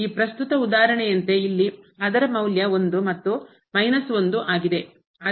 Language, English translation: Kannada, Like in this present example here it is value minus 1 and here the value is 1